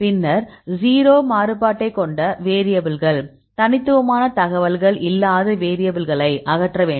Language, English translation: Tamil, Then you have to remove the variables with the 0 variance and also you have to remove the variables with no unique information